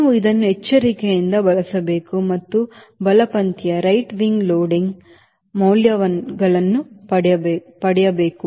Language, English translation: Kannada, you have to carefully use it and get the right wing loading values